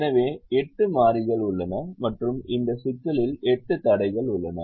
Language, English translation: Tamil, so there are eight variables and there are eight constraints in this problems